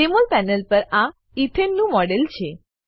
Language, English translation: Gujarati, Here is the Jmol panel with a model of ethane